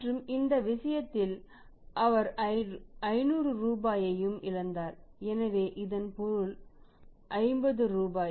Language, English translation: Tamil, So, here means there is a loss of 50 rupees sorry loss of 50 rupees